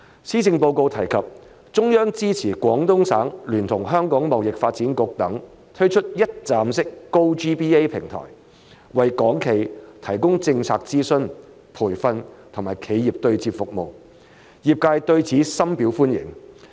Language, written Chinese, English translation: Cantonese, 施政報告提及中央支持廣東省聯同香港貿易發展局等推出一站式 "GoGBA" 平台，為港企提供政策諮詢、培訓、以及企業對接服務，業界對此深表歡迎。, The Policy Address has mentioned that the Central Government supports Guangdong Province to launch a one - stop GoGBA platform in collaboration with the Hong Kong Trade Development Council among others to provide enquiry service on government policies training and business matching services for Hong Kong enterprises . The industry deeply welcomes it